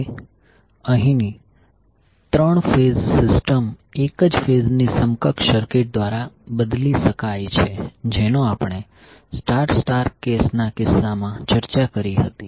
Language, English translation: Gujarati, Now the 3 phase system here can be replaced by single phase equivalent circuit which we discuss in case of star star case